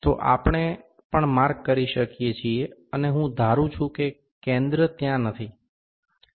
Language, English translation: Gujarati, So, also we can mark suppose the center is not there